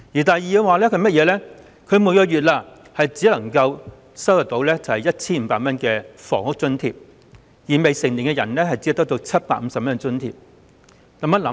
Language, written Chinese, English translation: Cantonese, 第二，他們每月只有 1,500 元的房屋津貼，而未成年人則只得到750元津貼。, Second they are only entitled to 1,500 rent allowance every month and a minor is entitled to 750